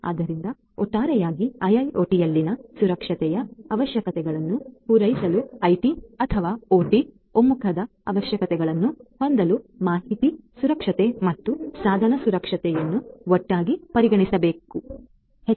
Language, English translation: Kannada, So, information security and device security will have to be considered together in order to come up with that IT or OT converged set of requirements for catering to the requirements of security in IIoT as a whole